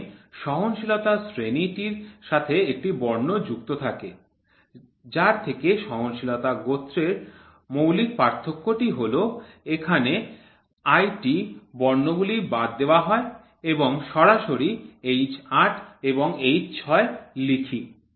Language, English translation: Bengali, When the tolerance grade is associated with a letter representing a fundamental deviation to form a tolerance class, the letters IT are omitted and we directly write H8 and f 7